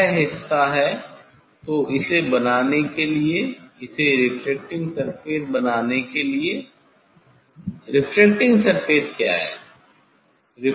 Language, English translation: Hindi, that part, so to make it; to make it; to make it this refracting surface, this refracting surface, what is a refracting surface